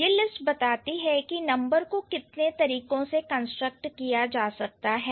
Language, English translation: Hindi, So, this list suggests the numbers can be constructed in how many ways